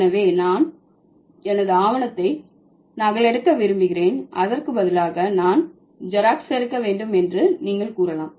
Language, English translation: Tamil, So, if you want to say, I want to photocopy my document instead of that, you can simply say, I want to Xerox my document